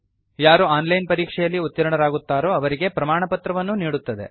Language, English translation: Kannada, They also give certificates to those who pass an online test